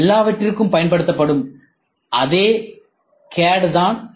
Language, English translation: Tamil, It is the same CAD which is used for all these things